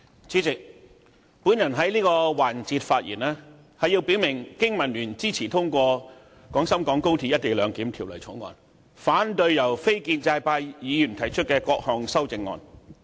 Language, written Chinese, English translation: Cantonese, 主席，我在這個環節發言，以表明經民聯支持通過《廣深港高鐵條例草案》，反對由非建制派議員提出的各項修正案。, Chairman I rise to speak in this session to express the support of the Business and Professionals Alliance for Hong Kong to the Guangzhou - Shenzhen - Hong Kong Express Rail Link Co - location Bill the Bill and the Alliances objection to all the amendments proposed by non - establishment Members